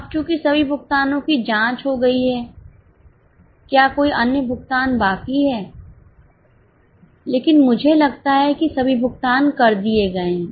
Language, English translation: Hindi, Now, since all payments are over, check whether any other payment is left but I think all are done